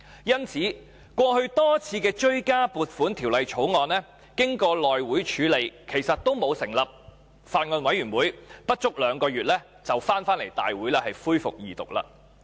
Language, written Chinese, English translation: Cantonese, 因此，過去多項追加撥款條例草案經內務委員會處理後，其實也沒有成立法案委員會，但不足兩個月便可交回大會恢復二讀。, So in the past actually no Bills Committees were set up on the many supplementary appropriation bills after consideration by the House Committee but they could be tabled before this Council for resumption of the Second Reading debate in less than two months